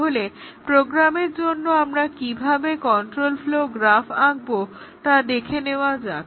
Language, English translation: Bengali, So, let us see how to draw a control flow graph for a program